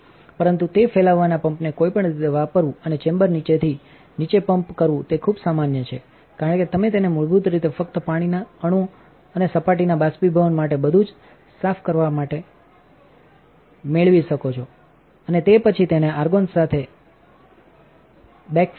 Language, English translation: Gujarati, But it is also very common to use the diffusion pump anyway and pump the chamber way down as low as you can get it basically just to clean everything to get the water molecules and everything to evaporate of the surface, and then backfill it with argon back up to the pressure that you want